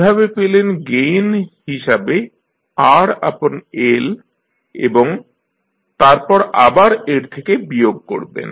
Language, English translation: Bengali, So, you get R by L as a gain and then you again subtract from this